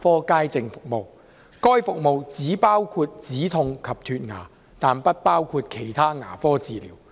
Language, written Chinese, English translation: Cantonese, 該服務只包括止痛及脫牙，但不包括其他牙科治療。, The service includes pain relief and teeth extraction only but not other dental treatment